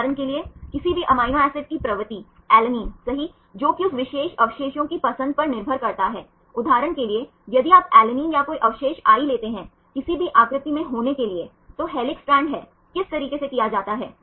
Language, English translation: Hindi, Propensity of any amino acid for example, alanine right that depends the preference of that that particular residue in a particular conformation for example, if you take alanine or any residue i to be in any conformation for example, helix are strand right how to do it